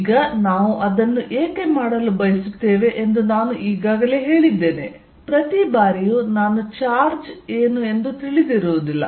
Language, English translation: Kannada, Now, I already said why do we want to do that is, that not necessarily every time I will be knowing what the charge is somewhere